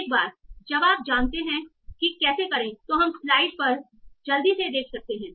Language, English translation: Hindi, So once you know how to do that, we can see that quickly on the slide